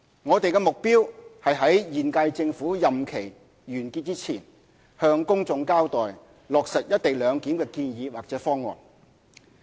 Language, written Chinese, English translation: Cantonese, 我們的目標是於現屆政府任期完結前，向公眾交代落實"一地兩檢"的建議或方案。, Our target is to give an account to the public on a recommendation or proposal for implementing the co - location arrangement before the end of this term of the Government